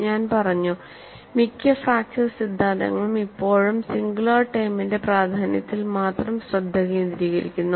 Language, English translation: Malayalam, And, I said, most of the fracture theories still focus on the importance of the singular term; only some of the recent theories, really look at the second term